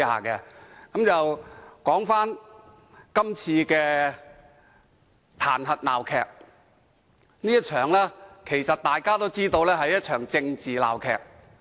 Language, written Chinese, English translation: Cantonese, 說回今次的彈劾鬧劇。其實，大家都知道這是一場政治鬧劇。, Back to this impeachment farce actually we all know that this is a political farce